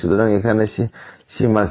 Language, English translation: Bengali, So, what is the limit here